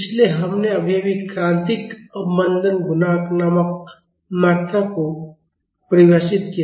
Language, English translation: Hindi, So, we just defined a quantity called critical damping coefficient